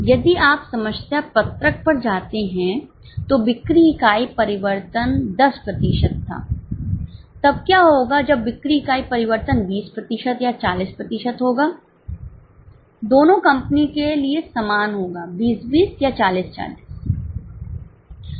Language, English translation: Hindi, If you go to problem sheet, the sale unit change which was 10%, what will happen if sale unit change is 20% or 40% for both the company is same, so 2020 or 4040